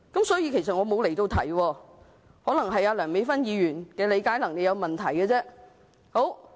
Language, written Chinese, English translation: Cantonese, 所以我其實沒有離題，可能只是梁美芬議員的理解能力有問題。, Therefore I have not strayed from the subject; perhaps it was Dr Priscilla LEUNG who has a problem with comprehension